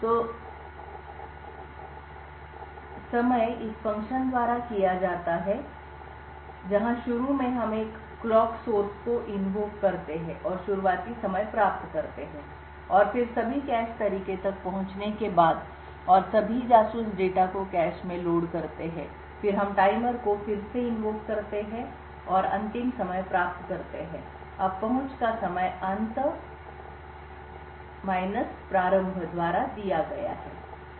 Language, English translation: Hindi, So the timing is done by this function, where initially we invoke a clock source and get the starting time and then after accessing all the cache ways and loading all the spy data into the cache then we invoke the timer again and get the end time, now the access time is given by end start